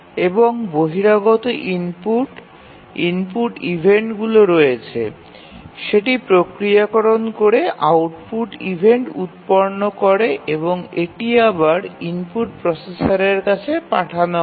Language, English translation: Bengali, And there are input external input events, it processes and produces output event and that is again fed back to the input processor